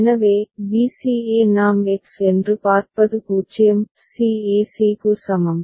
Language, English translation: Tamil, So, b c e what we see that is X is equal to 0 c e c